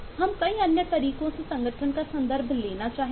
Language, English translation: Hindi, we will need to take context of organisation in multiple other ways